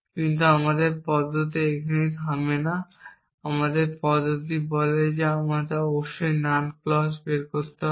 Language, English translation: Bengali, But our method does not stop here our method says we have must derive the null clause